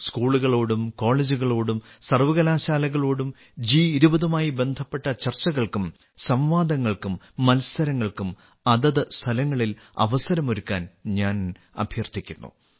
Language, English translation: Malayalam, I would also urge schools, colleges and universities to create opportunities for discussions, debates and competitions related to G20 in their respective places